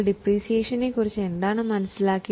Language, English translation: Malayalam, Now what do you understand by depreciation